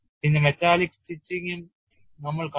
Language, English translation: Malayalam, Then we also saw metallic stitching